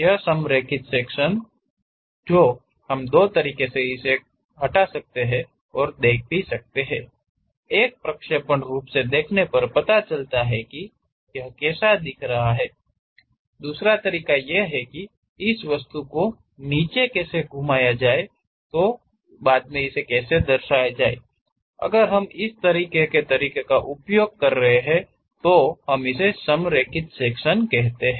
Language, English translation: Hindi, This aligned section says, we can represent these removal and representation by two ways; one straight away see that in the projectional view, how it looks like, the other way is rotate this object all the way down how that really represented, that kind of use if we are showing, that we call aligned sections